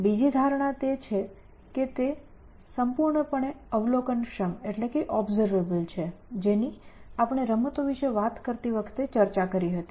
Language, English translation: Gujarati, The second assumption that we make is that, it is fully observable which means just as we discussed when we were talking about games